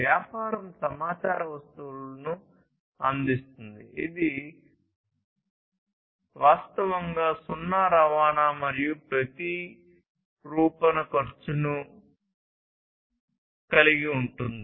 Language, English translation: Telugu, So, business providing information goods has virtually zero transportation and replication cost